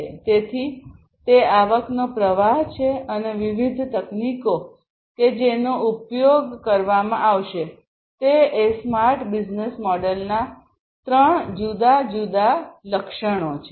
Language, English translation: Gujarati, So, that is the revenue stream and the different technologies that are going to be used these are the three different key attributes of a smart business model